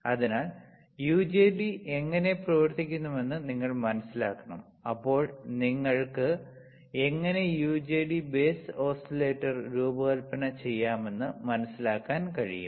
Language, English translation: Malayalam, So, you have to understand how the UJT works, then only you will be able to understand how you can how you can design an UJT base oscillator